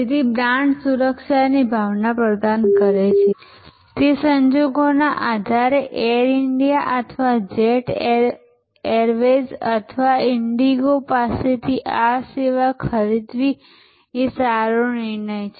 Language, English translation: Gujarati, So, brand delivers sense of security, that it is a good decision to buy this service from Air India or from jet airways or from indigo depending on the circumstances